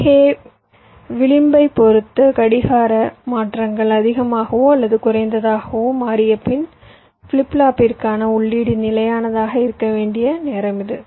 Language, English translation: Tamil, so this is the amount of time the input to the flip flop must be stable after the clock transitions, high for low, depending on the edge